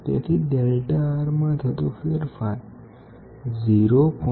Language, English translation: Gujarati, So, the change in delta R will be 0